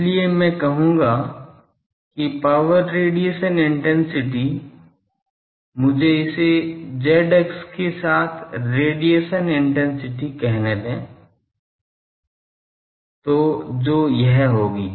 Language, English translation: Hindi, So, I will say power radiation intensity let us say radiation intensity along z axis that will be this